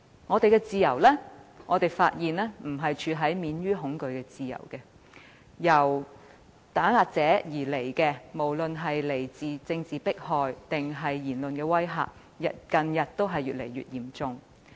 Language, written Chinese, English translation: Cantonese, 我們發現現時享有的自由並非免於恐懼的自由，來自打壓者的不管是政治迫害還是言論威嚇，近日都越見嚴重。, It can be seen that the freedom enjoyed in Hong Kong at present is not the freedom from fear since the political persecution and verbal intimidation from those who suppress us are getting more and more serious